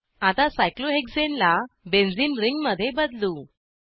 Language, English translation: Marathi, Let us now convert cyclohexane to a benzene ring